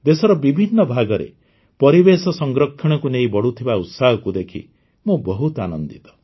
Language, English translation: Odia, I am very happy to see the increasing enthusiasm for environmental protection in different parts of the country